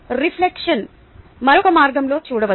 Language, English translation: Telugu, reflection can be looked at yet another way